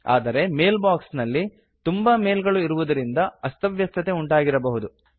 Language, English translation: Kannada, But there may be many mails in the Inbox Therefore it may be cluttered